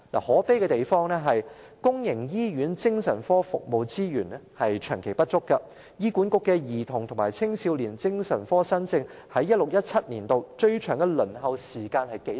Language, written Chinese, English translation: Cantonese, 可悲的是，公營醫院精神科服務資源長期不足，醫院管理局的兒童和青少年精神科新症，在 2016-2017 年度的最長輪候時間是多少呢？, Lamentably resources for providing psychiatric services at public hospitals have all along been insufficient and what was the longest waiting time for patients of new cases referred to the child and adolescent psychiatric services in the Hospital Authority in 2016 - 2017?